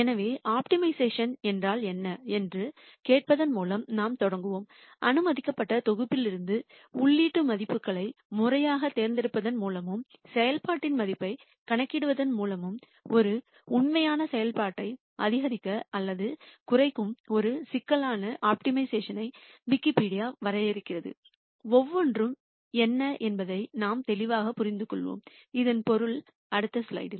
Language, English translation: Tamil, So, we will start by asking what is optimization and Wikipedia defines optimization as a problem where you maximize or minimize a real function by systematically choosing input values from an allowed set and computing the value of the function, we will more clearly understand what each of these means in the next slide